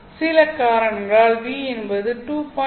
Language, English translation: Tamil, Assume that for some reason I want V to be 2